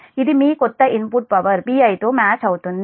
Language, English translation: Telugu, it matches your new input power p i